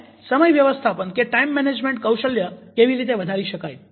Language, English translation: Gujarati, and how to enhance the time management skills